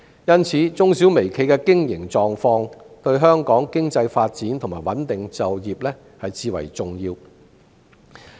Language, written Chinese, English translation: Cantonese, 因此，中小微企的經營狀況對香港的經濟發展和穩定就業至為重要。, Hence the operation of MSMEs is of utmost importance to the economic development and employment stability of Hong Kong